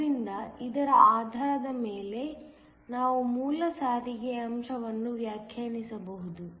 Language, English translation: Kannada, So, based upon this, we can define a base transport factor